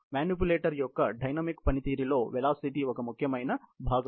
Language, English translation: Telugu, The velocity is an important part of the dynamic performance of the manipulator